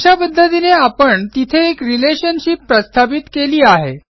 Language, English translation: Marathi, So there, we have set up one relationship